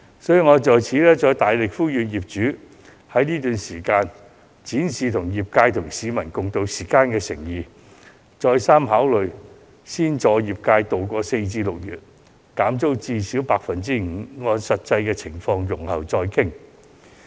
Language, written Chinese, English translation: Cantonese, 所以，我再次大力呼籲業主，在這段時間展示與業界及市民共渡時艱的誠意，好好考慮先助業界渡過4月至6月，減租至少 5%， 並按實際情況容後再議。, Therefore I strongly appeal to the landlords again to show their sincerity in supporting the trade and members of the public to ride out the hard times . They should also seriously consider offering a rent cut of at least 5 % to help the trade tide over the period from April to June . They may later negotiate the rent levels with their tenants according to the prevailing situation